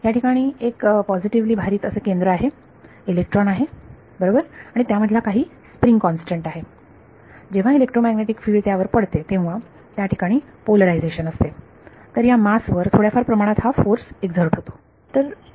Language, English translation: Marathi, So, there is a positively charged nucleus is an electron right there is some spring constant between them when an electromagnetic field falls on it there is a polarization there was slight going to as a force that is exerted on this mass